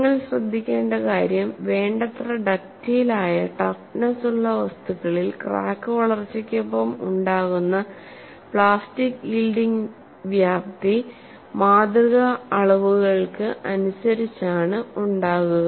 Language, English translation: Malayalam, What we will have to note is materials that are sufficiently ductile and tough, that the extent of plastic yielding accompanying the crack growth would be comparable to the specimen dimensions